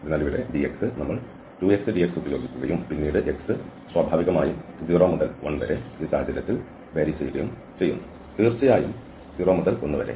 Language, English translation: Malayalam, So, here the dx, the second also for 2, for dy we have use 2 x, dx and then x naturally goes from 0 to 1 in this case and, of course, the same integral so the 0 to 1 and the other one